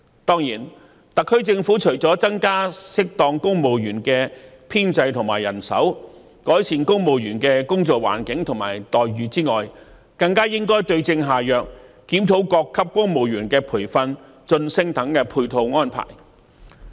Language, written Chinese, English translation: Cantonese, 當然，特區政府除了適當增加公務員的編制和人手，以及改善公務員的工作環境和待遇外，更應該對症下藥，檢討各級公務員的培訓、晉升等配套安排。, And certainly apart from suitably expanding the civil service establishment and increasing manpower as well as improving the working environment and employment terms of civil servants the SAR Government should also find out the right remedy for the problem and review the supporting arrangements such as the training and promotion of various levels of civil servants